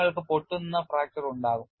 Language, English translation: Malayalam, You will have a brittle fracture